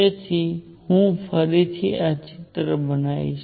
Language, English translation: Gujarati, So, I will make this picture again